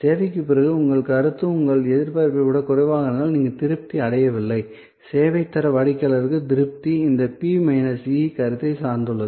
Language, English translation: Tamil, And if your perception after the service is lower than your expectation, then you are not satisfied, so the service quality customer satisfaction depend on this P minus E perception